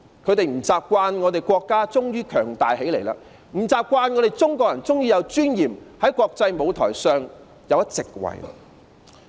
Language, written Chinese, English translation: Cantonese, 他們不習慣我們的國家終於強大起來、不習慣中國人終於有尊嚴，在國際舞台上佔一席位。, They are not used to seeing our country finally becoming strong and powerful and they are not used to seeing Chinese people finally having dignity and occupying a niche on the international stage